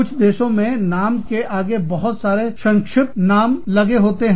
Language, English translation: Hindi, In some countries, the names may have, number of abbreviations, in front of them